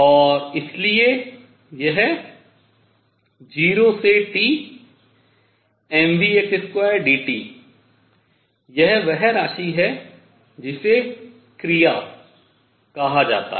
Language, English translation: Hindi, And this is therefore, 0 to T m vx square dt this is the quantity called action